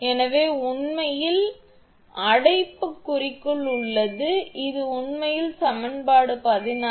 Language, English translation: Tamil, So, this is actually in bracket I am write down for you this is actually equation 16